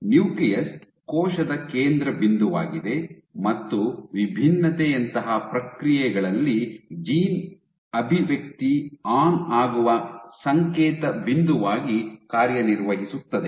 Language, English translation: Kannada, Which is the centerpiece of the cell and which serves as the signaling point where gene expression is turned on during processes like differentiation